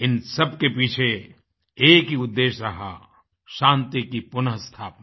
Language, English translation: Hindi, There has just been a single objective behind it Restoration of peace